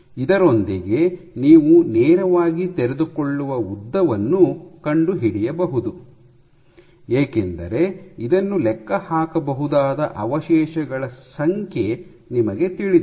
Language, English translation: Kannada, This you can directly find out the unfolded length, now because you know the number of residues because you know the number of residues